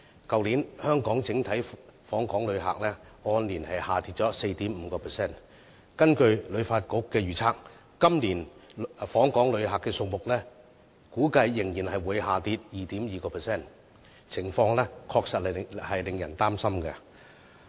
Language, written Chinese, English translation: Cantonese, 去年香港整體訪港旅客數字按年下跌 4.5%， 而根據香港旅遊發展局的預測，今年訪港旅客的數字估計仍會下跌 2.2%， 情況確實令人擔心。, Last year Hong Kongs total visitor arrivals had a year - on - year decrease of 4.5 % and the Hong Kong Tourism Board HKTB predicted that this years visitor arrivals will drop further by 2.2 % which is pretty worrying